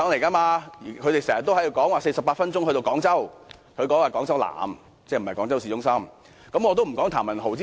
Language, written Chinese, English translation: Cantonese, 政府經常說48分鐘可以到達廣州南，但那處不是廣州市中心。, The Government always claims that it takes 48 minutes to reach Guangzhou South yet that is not the city centre of Guangzhou